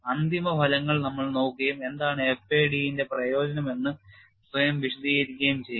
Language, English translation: Malayalam, We will look at final results and apprise our self what is the utility of FAD